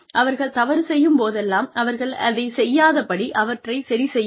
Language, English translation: Tamil, So correct them, whenever they make mistakes, so that, they do not make